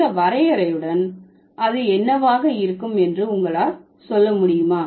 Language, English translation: Tamil, So, with this definition, can you tell me what it is going to be